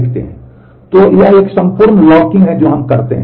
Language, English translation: Hindi, So, this is a whole locking that we do